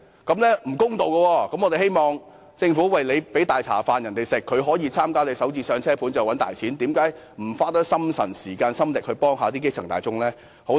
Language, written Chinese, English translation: Cantonese, 既然政府向他們提供"大茶飯"，可以透過參與興建"港人首置上車盤"賺大錢，那麼政府為何不多花心神、時間、心力幫助基層大眾呢？, As the Government will offer them an opportunity to do big business and make an enormous fortune through participating in the construction of Starter Homes why should it refuse to devote more energy time and efforts to helping the grass roots?